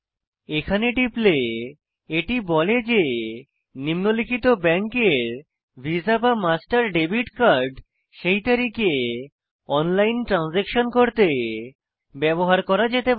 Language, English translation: Bengali, So let me click here and i get the the message that the following banks visa / master debit cards can be used to make online transaction as on date